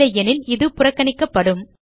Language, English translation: Tamil, Else it will be ignored